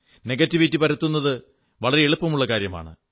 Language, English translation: Malayalam, Spreading negativity is fairly easy